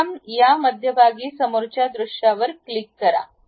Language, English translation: Marathi, So, first click this middle one, front view